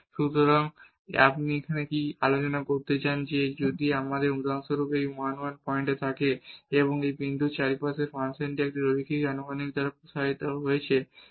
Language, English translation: Bengali, So, what you want to discuss here that if we have this 1 1 point for example, and we are expanding this function around this point by a linear approximation